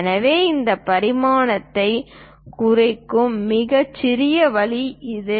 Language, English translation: Tamil, So, this is the minimalistic way of representing this dimension